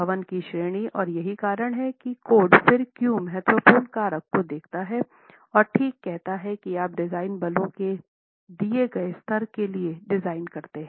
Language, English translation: Hindi, The category of the building, and that's the reason why the code then looks at importance factor and says, okay, you design for a given level of design force